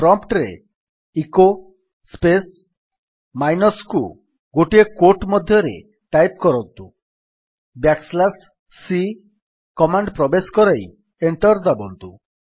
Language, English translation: Odia, Type at the prompt: echo space minus e within single quote Enter a command back slash c (\c) and press Enter